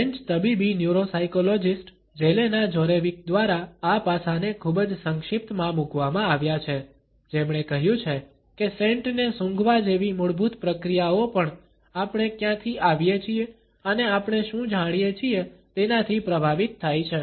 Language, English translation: Gujarati, This aspect has been very succinctly put by Jelena Djordjevic, a French clinical neuropsychologist, who has said that even basic processes such as smelling a scent are influenced by where we come from and what we know